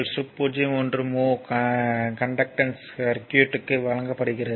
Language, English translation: Tamil, 1 mho conductance is given of the circuit, right